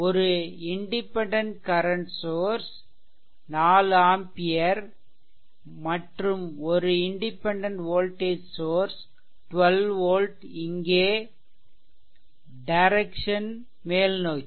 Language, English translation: Tamil, And one independent current source is there this is 4 ampere and one independent voltage source is there that is 12 volt right